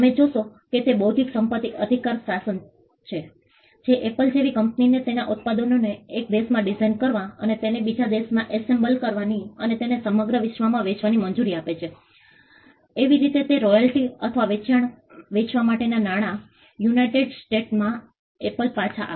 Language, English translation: Gujarati, You will find that it is the intellectual property rights regime that allows a company like Apple to design its products in one country and assemble it in another country, and sell it throughout the world; in such a way that the royalty or the money for the sale comes back to Apple in the United States